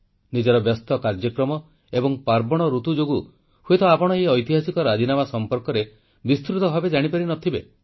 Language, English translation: Odia, Due to the busy routine and festive season, you might not have been able to learn about this historic agreement in detail